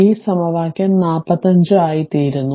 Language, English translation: Malayalam, This is equation 47 right